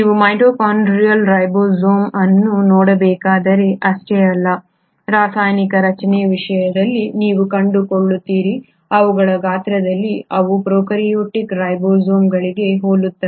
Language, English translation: Kannada, Not just that if you are to look at the mitochondrial ribosomes you find in terms of the chemical structure, in terms of their size they are very similar to prokaryotic ribosomes